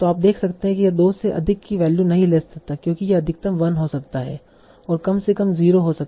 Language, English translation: Hindi, So you can see that it cannot take a value of larger than 2 because it can be at most 1